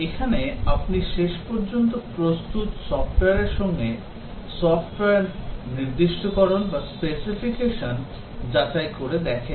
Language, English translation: Bengali, And here, you check the finally produced software against the specification of the software